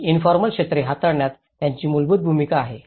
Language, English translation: Marathi, They play a fundamental role in handling these informal sectors